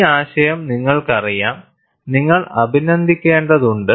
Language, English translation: Malayalam, You know, this concept, you will have to appreciate